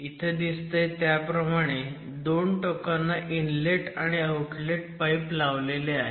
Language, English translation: Marathi, So, what you see here attached at the ends are an inlet and outlet pipe